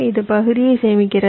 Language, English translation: Tamil, right, so this saves the area